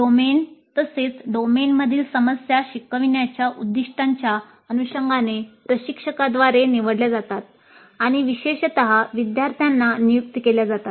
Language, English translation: Marathi, The domain as well as the problems in the domain are selected by the instructor in accordance with the intended learning outcomes and are then typically assigned to the students